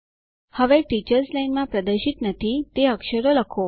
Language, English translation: Gujarati, Now lets type a character that is not displayed in the teachers line